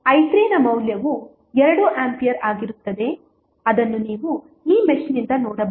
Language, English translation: Kannada, Value of i 3 would be 2 ampere which you can see from this mesh